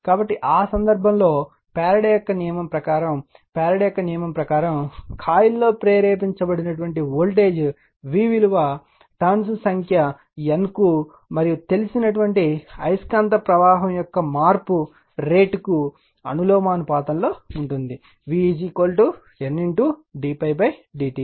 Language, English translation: Telugu, So, in that case what according to Faraday’s law right, according to your Faraday’s law, so your the voltage v induced in the coil is proportional to the number of turns N and the time rate of change of the magnetic of the flux that is we know, the v is equal to N into d phi by d t right